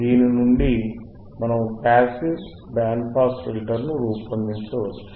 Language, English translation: Telugu, We can design a passive band pass filter